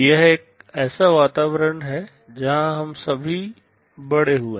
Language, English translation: Hindi, This is the kind of environment where we have all grown up